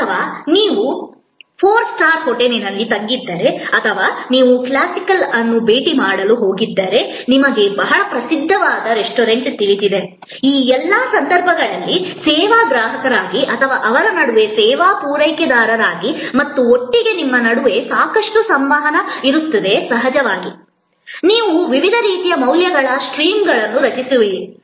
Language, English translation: Kannada, Or if you are staying at a four star hotel or you have gone to visit a classical, you know very famous restaurant, in all these cases there will be lot of interaction between you as the service consumer and them as a service provider and together of course, you will create different kinds of streams of values